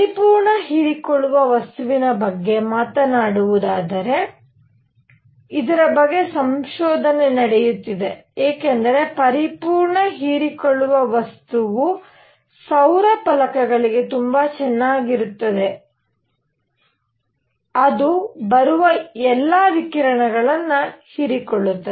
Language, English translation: Kannada, By the way just talking on the perfect absorbing material, there is research going on into this because a perfect absorbing material would be very nice for solar panels because it will absorb all the radiation coming on to it